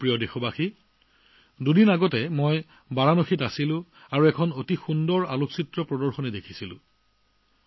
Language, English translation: Assamese, My dear countrymen, two days ago I was in Varanasi and there I saw a wonderful photo exhibition